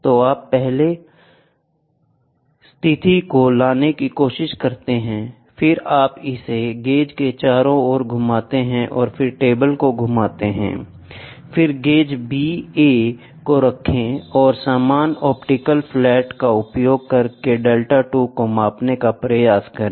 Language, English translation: Hindi, So, you try to take the first position, then you turn it around the gauge and then rotate the table, then place the gauge B A and try to measure the delta 2, using the same optical flat